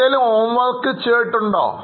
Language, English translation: Malayalam, Have you done any other homework